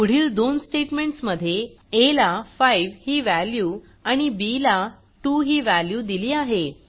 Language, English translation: Marathi, In the next two statements, a is assigned the value of 5